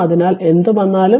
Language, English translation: Malayalam, So, whatever it comes